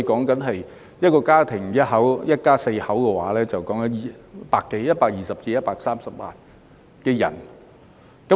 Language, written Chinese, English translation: Cantonese, 假設一個家庭是一家四口，牽涉的人數便有120萬至130萬。, Assuming that each of such families has four family members then the number of people affected would be 1.2 million to 1.3 million